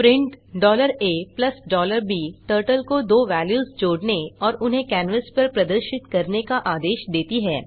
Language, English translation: Hindi, print $a + $b commands Turtle to add two values and display them on the canvas